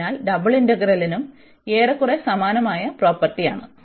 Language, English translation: Malayalam, So, similar to the single integral, we have more or less the same properties for the double integral as well